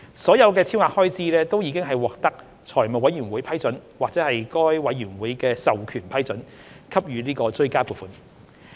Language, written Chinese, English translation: Cantonese, 所有超額開支均已獲得財務委員會批准或該委員會授權批准，給予追加撥款。, All the expenditure in excess has been approved by the Finance Committee or under the powers delegated by it